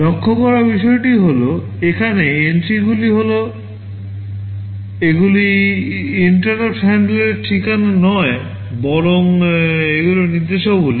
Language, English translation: Bengali, The point to notice is that entries out here, these are not addresses of interrupt handler rather these are instructions